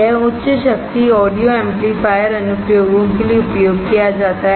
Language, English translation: Hindi, This is used for high power audio amplifier applications